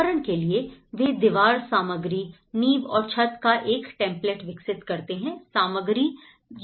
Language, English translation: Hindi, For instance, they develop a template of walling material, the foundation and the roofing material or whatever